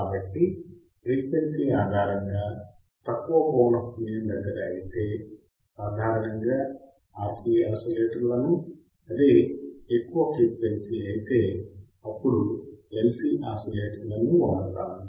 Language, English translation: Telugu, So, based on frequency if the low frequency oscillator generally it will be RC oscillators if the high frequency oscillators it would be LC oscillators